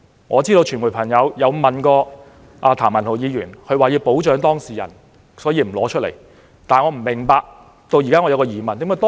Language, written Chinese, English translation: Cantonese, 我知道傳媒曾就此事問過譚文豪議員，他卻說要保障當事人，所以不會把文件拿出來。, I know that the media have asked Mr Jeremy TAM about this and got the reply that he would not produce the document as it was necessary to protect the complainant